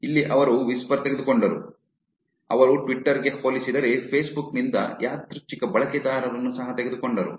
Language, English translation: Kannada, Here they took whisper, they also took random users from facebook, compared also to twitter